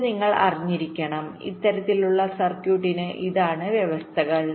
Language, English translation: Malayalam, ok, this you have to know for this kind of circuit